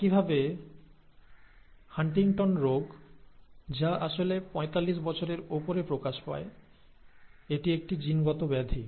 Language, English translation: Bengali, And similarly, Huntington’s disease, which actually manifests above forty five, is a genetic disorder